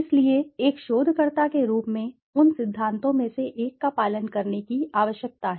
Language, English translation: Hindi, So, as a researcher one needs to follow one of those principles